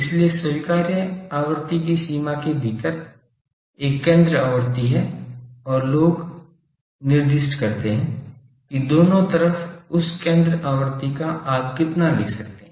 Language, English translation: Hindi, So, within the range of frequency acceptable frequency there is a centre frequency and people specify that about that centre frequency in both sides how much you can go